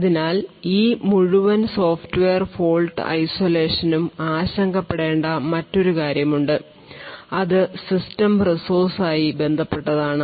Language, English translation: Malayalam, So there is another thing to a worry about in this entire Software Fault Isolation and that is with respect to system resources